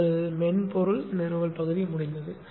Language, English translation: Tamil, Your software installation portion is over